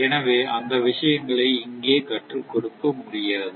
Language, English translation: Tamil, So, those things cannot be, it cannot be taught here